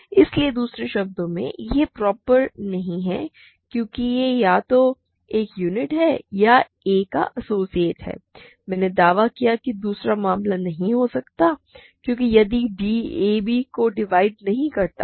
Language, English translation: Hindi, So, in other words it fails to be proper either because it is a unit or because it is an associate of a; I claimed that the second case cannot occur because if d is an remember that a does not divide b right